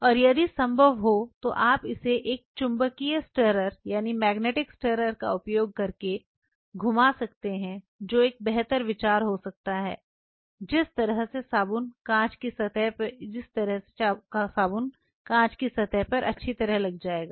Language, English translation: Hindi, And if possible if you can swirl it using a magnetic stirrer that may be a better idea that way the soap will kind of you know will be all over the surface of the glass